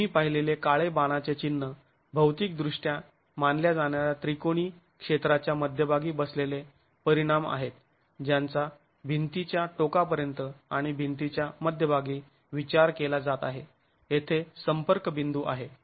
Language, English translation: Marathi, The black arrow marks that you see are the resultants sitting at the centroid of the triangular area that is being considered geometrically being considered at the ends of the wall and at the center of the wall where the contact points are